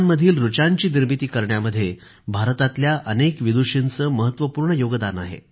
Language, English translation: Marathi, Many Vidushis of India have contributed in composing the verses of the Vedas